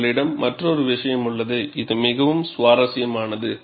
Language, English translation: Tamil, And you have another case, which is very interesting